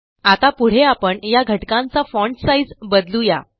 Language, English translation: Marathi, Next, let us change the font sizes of these elements now